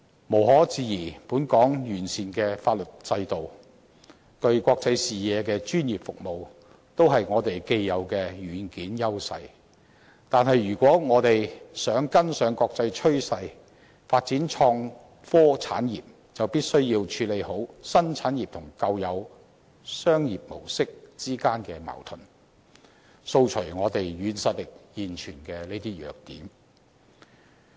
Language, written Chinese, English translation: Cantonese, 無可置疑，本港完善的法律制度，以及具國際視野的專業服務，均是我們既有的"軟件"優勢，但如果我們想跟上國際趨勢發展創科產業，便必須要妥善處理新產業與舊有商業模式之間的矛盾，掃除這些現存於我們"軟實力"的弱點。, Admittedly our exemplary legal system and global - looking professional services are the software edge that we now enjoy . But if we would like to jump on the international bandwagon to develop the innovation and technology industry we must first settle the conflict between the new industry and the old business model eliminating these weaknesses in our soft power